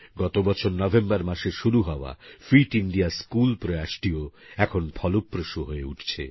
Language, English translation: Bengali, The 'Fit India School' campaign, which started in November last year, is also bringing results